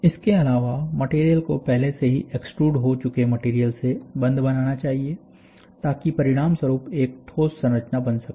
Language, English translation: Hindi, Further, the material must bond to the material that has already been extruded, so that a solid structure can result